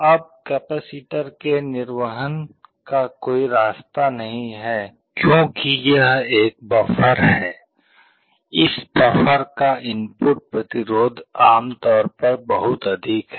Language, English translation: Hindi, Now the capacitor does not have any path to discharge because this is a buffer, the input resistance of this buffer is typically very high